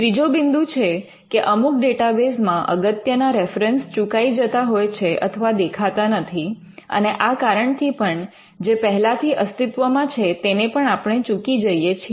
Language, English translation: Gujarati, Thirdly, there could be some key references that are missed out in certain databases or which do not throw up in certain databases, and and it could be a reason for missing out something which was already there